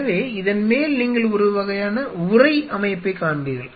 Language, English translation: Tamil, So, on the top of it you will see a kind of a enclose structure